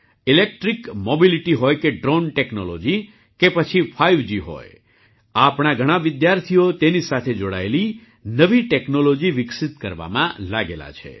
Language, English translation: Gujarati, Be it electric mobility, drone technology, 5G, many of our students are engaged in developing new technology related to them